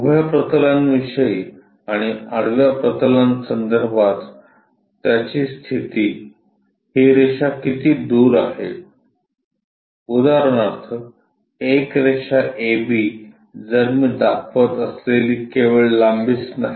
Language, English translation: Marathi, Its position with respect to vertical plane and also horizontal plane is required how far this line points for example, a line A B if I am representing is not only the length